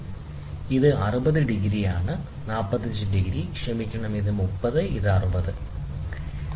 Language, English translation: Malayalam, So, this is 60 degrees, this is 45 degrees sorry, this is 30 degrees, and this is 60 degrees